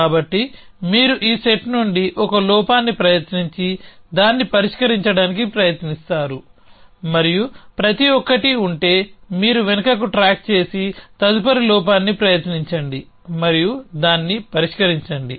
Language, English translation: Telugu, So, you would try 1 flaw from this set try to resolve it and then if will each at then you will back track and try the next flaw and resolve it